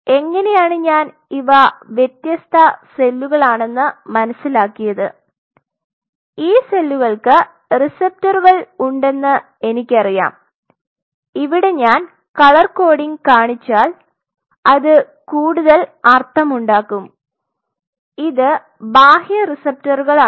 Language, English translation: Malayalam, How I know there are of different types I know that these cells have receptors like, this I am just showing the color coding that way it will make more sense to and these are external receptors